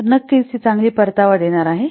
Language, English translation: Marathi, So, of course, it is a good return